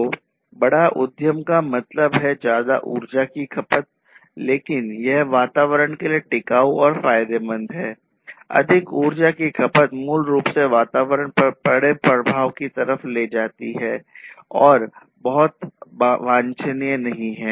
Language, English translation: Hindi, So, larger enterprise means larger energy consumption, but that is not something that is sustainable and that is not something that can that is beneficial for the environment more energy consumption basically leads to bigger impact on the environment and which is not very desirable